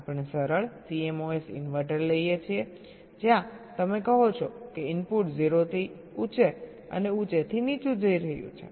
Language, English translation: Gujarati, ah, we take ah simple c mos inverter where you say that the input is going from zero to high and high and low